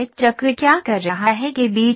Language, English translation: Hindi, In between what is the circle doing